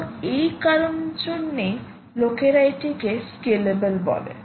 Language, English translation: Bengali, so people do say that this is a very scalable